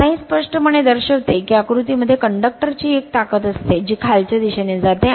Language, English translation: Marathi, Now, this clearly shows that conductor in figure has a force on it which tends to move in downward